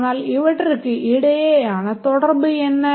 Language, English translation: Tamil, But then what about the relation between this